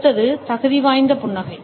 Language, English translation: Tamil, The next is the qualifier smile